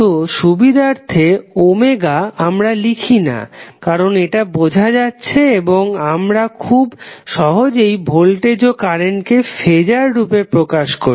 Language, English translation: Bengali, So, for simplicity what we say, we do not represent omega for the phaser because that is seems to be understood and we simply represent voltage and current as a phaser